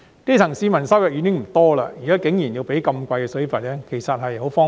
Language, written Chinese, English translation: Cantonese, 基層市民收入已經不多，現在竟然還要繳付高昂水費，實在是十分荒謬。, Given the lower income of the grass roots it is really very ridiculous that they even have to pay exorbitant water fees